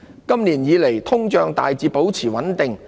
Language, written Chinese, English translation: Cantonese, 今年以來通脹大致保持穩定。, Inflation remained largely stable this year